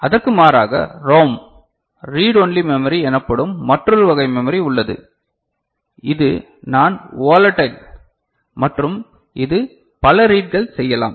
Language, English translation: Tamil, Contrast to that we have got another type of memory called ROM, Read Only Memory, which is non volatile and it is meant for multiple reading ok